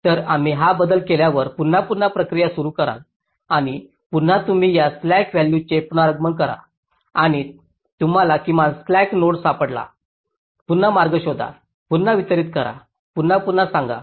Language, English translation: Marathi, after making this change, again you recalculate this, i slack values, and you and you again find out the minimum slack node, again find out a path, again distribute